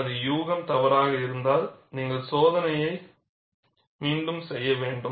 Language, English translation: Tamil, If my guess work is wrong, you have to repeat the test